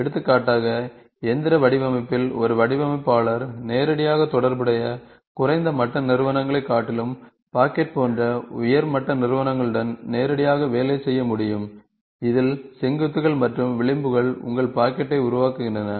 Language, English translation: Tamil, In mechanical design for example, a designer can work directly with the high level entities, such as pocket, rather than associated low level entities, in which the vertices and edges form your pocket